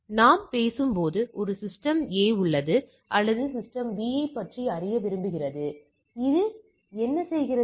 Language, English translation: Tamil, So, as we are talking that is system A and there is A wants to know about some node say system B